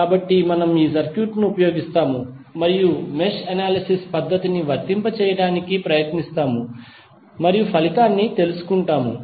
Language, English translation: Telugu, So, we will use this circuit and try to apply the mesh analysis technique and find out the result